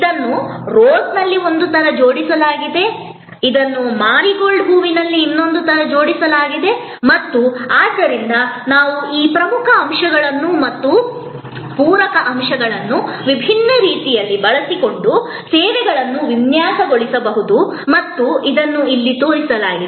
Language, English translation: Kannada, It is arranged in one way in Rose, it is arranged in another way in a Marigold flower and therefore, we can design services by using these core elements and the supplement elements different ways and that is shown here